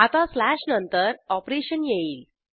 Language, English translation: Marathi, Now after the slash comes the operation